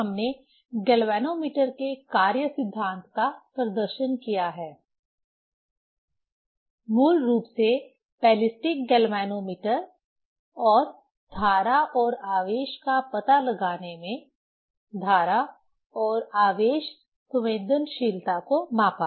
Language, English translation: Hindi, We have demonstrated working principle of galvanometer: basically ballistic galvanometer and measured the current and charge sensitivity in detection of current and charge